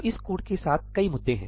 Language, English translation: Hindi, So, there are several issues with this code